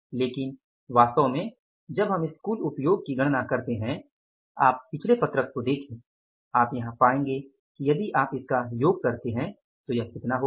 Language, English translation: Hindi, But actually when we have gone for this total usage, if you go to the previous sheet here you will find here that if you total it up that will become as how much